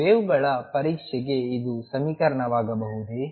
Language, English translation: Kannada, Can this be the equation for the waves test